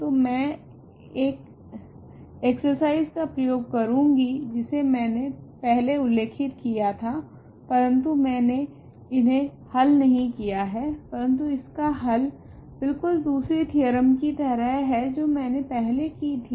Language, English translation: Hindi, So, I am going to use an exercise which I mentioned earlier, but I have I have not solved this, but the solution is exactly similar to another theorem that I have done earlier